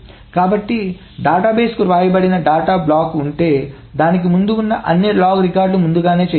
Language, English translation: Telugu, And all the log records, so if there is a block of data that is written to the database, all the log records before to it must be done before